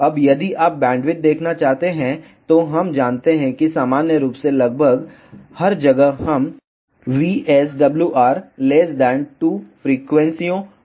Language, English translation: Hindi, Now, if you want to see the bandwidth, we know that in general almost everywhere we consider VSWR less than 2 frequencies